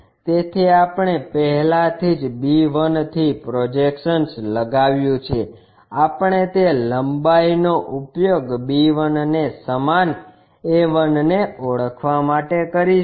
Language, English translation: Gujarati, So, already we have projected from b 1, on that we use that length to identify b 1 similarly a 1